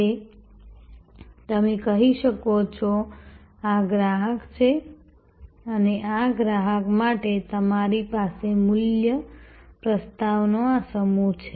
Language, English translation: Gujarati, Now, you can say, this is the customer and for this customer, I have this bunch of value proposition